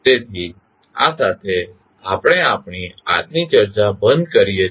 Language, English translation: Gujarati, So, with this we can close our today’s discussion